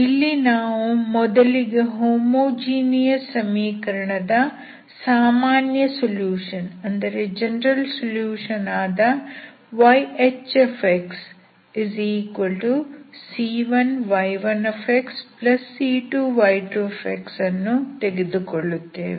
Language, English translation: Kannada, What we do is, we take the general solution of the homogeneous equation which is C1 y1 x plus C2 y2 x